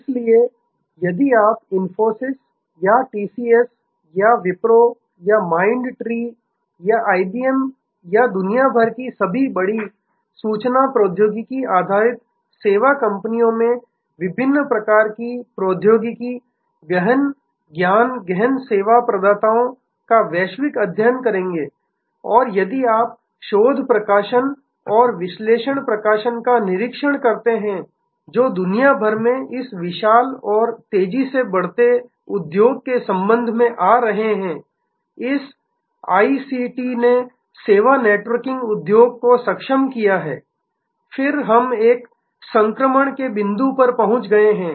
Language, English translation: Hindi, So, if you study the companies like Infosys or TCS or Wipro or Mind tree or IBM or all the big information technology based service companies around the world, various kind of technology intensive, knowledge intensive service providers around the world and if you observe the research publications and analyst publications, those are coming out with respect to this huge and rapidly growing industry around the world, this ICT enabled service networking industry, then we appear to have reach another inflection point